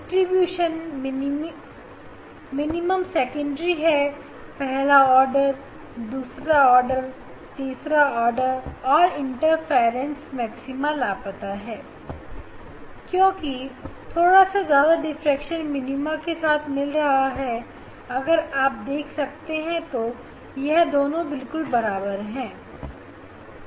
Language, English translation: Hindi, that is the a secondary that the diffraction minima first order, second order, third order and interference fringe, interference maxima and missing because it coincides more or less coincides with the diffraction minima if it is you could see if it is both are equal you could see, yes